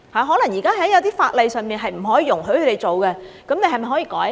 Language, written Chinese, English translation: Cantonese, 可能現時一些法例是不可以容許他們做的，那麼政府是否可以改例呢？, Let us say if the existing laws do not allow them to do so can the Government amend the laws?